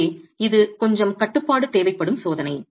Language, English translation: Tamil, So, it's a test that requires a little bit of a control